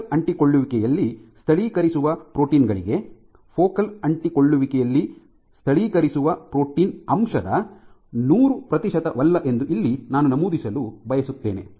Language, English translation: Kannada, So, here I would like to mention one point is even for proteins which do localize at focal adhesions, it is not that hundred percent of the protein content is localizing at focal adhesions